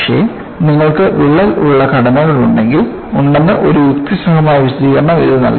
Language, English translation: Malayalam, But, it provided a logical explanation that you will have structures with crack